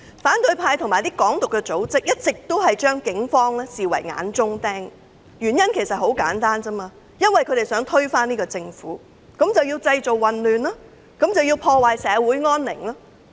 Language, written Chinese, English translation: Cantonese, 反對派及一些"港獨"組織一直將警方視為眼中釘，原因很簡單，因為他們想推翻政府，於是製造混亂及破壞社會安寧。, The opposition camp and some Hong Kong Independence bodies have always regarded the Police as a thorn in the eye . They create chaos and undermine peace of society simply because they want to overthrow the Government